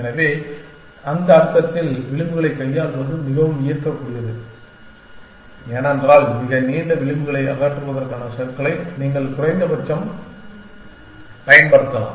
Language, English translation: Tamil, So, in that sense manipulating edges is more appealing because, you can at least apply the slink of removing very long edges essentially